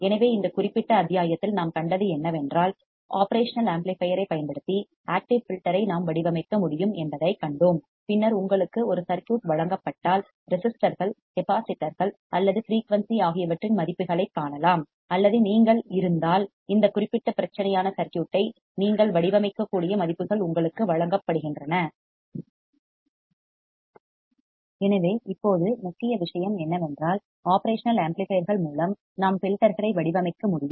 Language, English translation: Tamil, So, what we have seen in this particular module, we have seen that we can design an active filter using the operational amplifier and then if you are given a circuit then you can find the values of the resistors, capacitors or frequency and or if you are given the values you can design the circuit which is this particular problem which is the problem in front of you